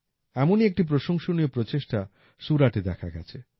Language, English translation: Bengali, One such commendable effort has been observed in Surat